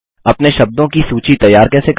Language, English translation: Hindi, Create your own list of words